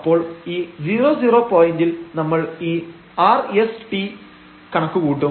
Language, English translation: Malayalam, So, at this 0 0 point, we will compute rs and t